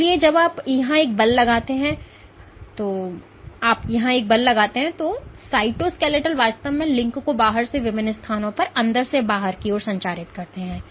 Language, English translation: Hindi, So, when you exert a force here let us say the ball, you exert a force here then these the cytoskeletal actually links transmits the forces from this in outside to inside at different positions